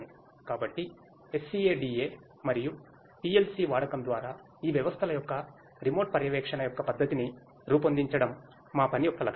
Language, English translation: Telugu, So, the aim of our work is to devise a methodology of a remote monitoring of these systems through the use of SCADA and PLC